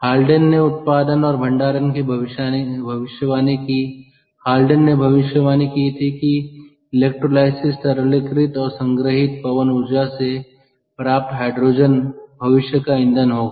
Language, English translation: Hindi, the haldane predicted that hydrogen derived from wind power via electrolysis, liquefied and stored, will be the fuel of the future